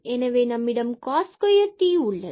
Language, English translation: Tamil, So, we have cos square t